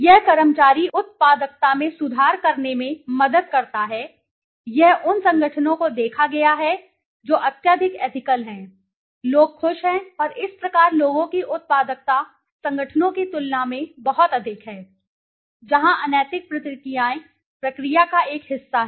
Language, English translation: Hindi, It helps in improving employee productivity, it has been seen organizations which are highly ethical there the people are happier and thus the productivity of the people is much, much higher than in comparison to organizations where unethical practices are a part of the process